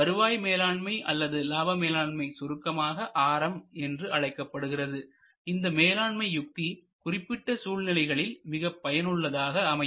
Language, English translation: Tamil, This yield management or revenue management or RM as we call it in short is most effective in the following conditions